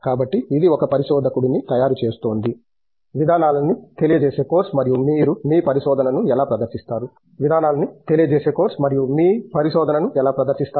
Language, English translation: Telugu, So, it is making of a researcher, the methodology course and how do you present your research